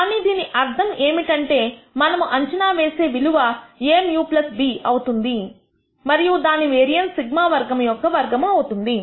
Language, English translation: Telugu, But its mean will be our expected value will be a mu plus b and its variance would be a squared sigma square